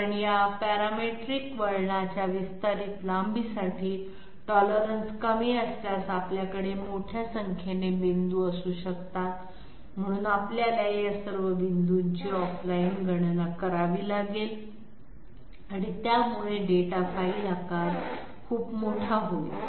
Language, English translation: Marathi, Because for an extended length of this parametric curve, we can well have you know huge number of points if the tolerance is small, so we have to off line calculate all these points and that will make up a very large data file size